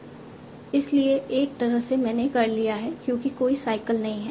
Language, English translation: Hindi, At one point I'm done because there is no cycle